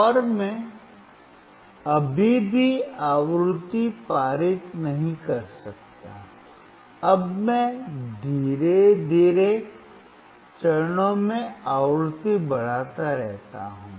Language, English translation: Hindi, And I cannot still pass the frequency, now I keep on increasing the frequency in slowly in steps